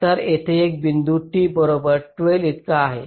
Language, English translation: Marathi, so here this point refers to t equal to twelve